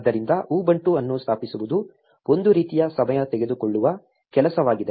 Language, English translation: Kannada, So, installing ubuntu is a kind of a time consuming task